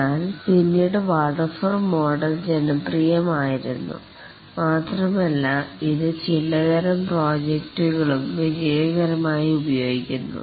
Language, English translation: Malayalam, But then the waterfall model was popular and it is also successfully used in some types of projects